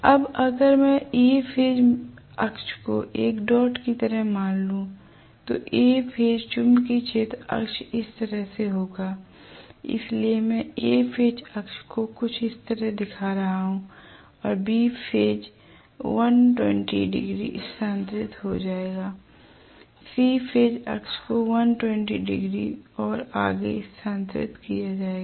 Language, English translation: Hindi, Now, A phase axis if I assume that I am having the dot like this the A phase magnetic field axis will be this way, so I am just showing the A phase axis some what like this and B axis will be 120 degrees shifted, C axis will be 120 degrees shifted further that is it right